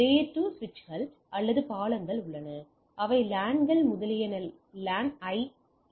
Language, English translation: Tamil, We have layer 2 switches or bridges which bridges LANs etcetera LAN